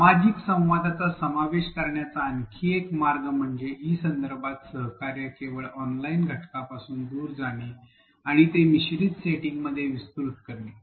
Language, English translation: Marathi, Another way to include the social interaction, the collaboration in an e context is to move away from only the online component and broaden it to a blended setting